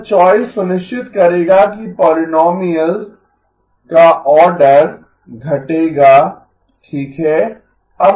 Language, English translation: Hindi, This choice will ensure that the order of the polynomial gets decreased okay